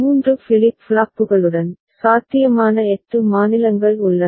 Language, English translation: Tamil, With three flip flops, eight possible states are there